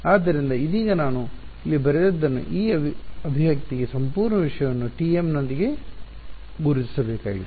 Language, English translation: Kannada, So, right now what I have written over here this expression just whole thing needs to be dotted with T m